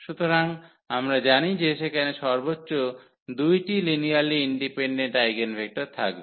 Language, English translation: Bengali, So, we know that there will be at most 2 linearly independent eigenvectors